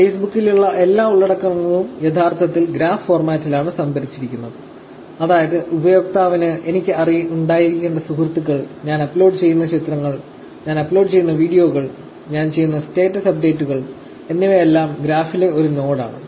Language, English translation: Malayalam, All content on Facebook is actually stored in a graph format; that is, user the friends that I would have, the pictures that I upload, the videos that I upload, and the status updates that I do, everything is actually a node in the graph